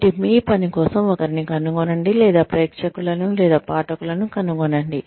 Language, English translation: Telugu, So, find somebody, or find an audience, or readership, for your work